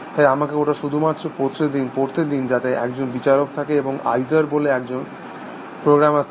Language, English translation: Bengali, So, let me just read it out, so there is a judge and there this program called izar